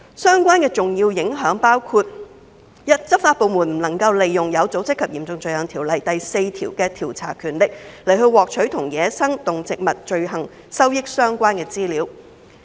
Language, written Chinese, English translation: Cantonese, 相關的重要影響包括：第一，執法部門不能利用《有組織及嚴重罪行條例》第4條的調查權力，來獲取與走私野生動植物罪行收益相關的資料。, 60 and the Dangerous Drugs Ordinance Cap . 134 offences under PESAPO are excluded from Schedule 1 to OSCO with several very significant repercussions Firstly law enforcement agencies cannot utilize investigative powers under section 4 of OSCO to gain access to materials related to the proceeds of crimes involving wildlife trafficking